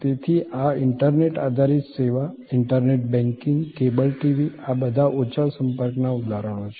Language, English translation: Gujarati, So, these internet based service, internet banking, cable TV, these are all examples of low contact